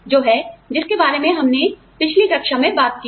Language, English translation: Hindi, Which is what, we talked about, in the previous class